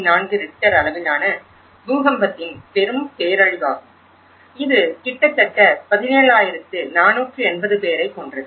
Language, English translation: Tamil, 4 Richter scale earthquake which has killed almost 17,480 people